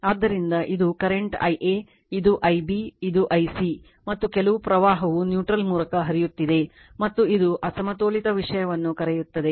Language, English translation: Kannada, So, this is the current I a this is I b this is I c and , some current is flowing through the neutral and , right and this is your what you call unbalanced thing you have taken